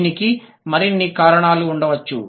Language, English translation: Telugu, There could be more reasons to it